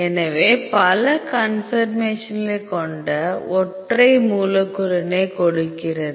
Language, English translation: Tamil, So, single molecule with multiple conformation give